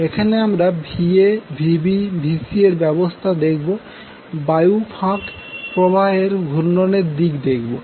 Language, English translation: Bengali, So, here if you see Va Vb Vc are arranged in, in the direction of the rotation of the air gap flux